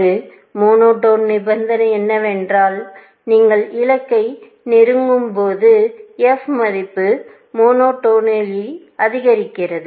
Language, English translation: Tamil, A monotone condition is that, as you move closer to the goal, the f value monotonically increases